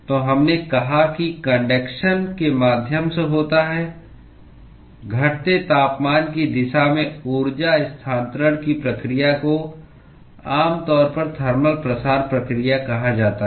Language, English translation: Hindi, So, we said that: the conduction occurs through the the process of energy transfer in the decreasing temperature direction is typically what is called as the thermal diffusion process